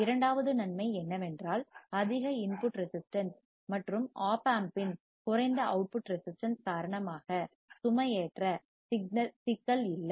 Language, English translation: Tamil, Second advantage is there is no loading problem because of high input resistance and lower output resistance of Op Amp